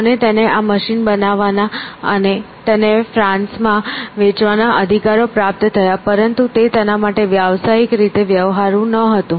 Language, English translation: Gujarati, And, he received the rights to produce this machine and sell it in France, but it was not something which was commercially viable for him